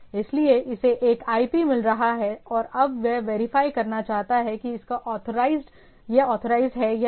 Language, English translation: Hindi, So, it is getting a IP and now it wants to verify whether its authorised or not right